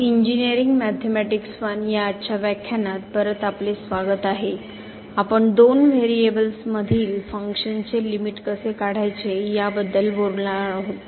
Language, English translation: Marathi, So, welcome back to the lectures on Engineering Mathematics I and today, we will be talking about Evaluation of Limit of Functions of two variables